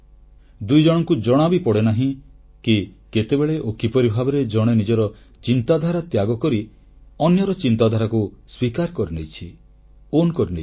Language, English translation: Odia, None of the two even realizes that how and when one other's has abandoned its idea and accepted and owned the idea of the other side